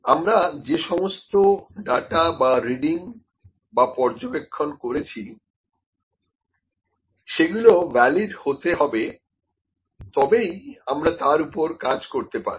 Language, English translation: Bengali, The data or the readings or the observations that we have gained or that we have obtained are to be valid to work on them